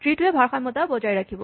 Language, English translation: Assamese, This tree will be balanced